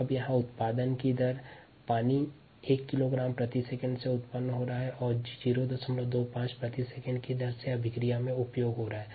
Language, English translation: Hindi, now the rate of generation: here water is being generated at one kilogram per second and it is being consumed by a reaction, at point two, five kilogram per second